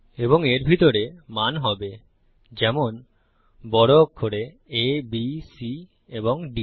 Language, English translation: Bengali, And inside these, will be the values, for example, Capital A, B, C and D